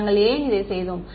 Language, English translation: Tamil, Why did we do this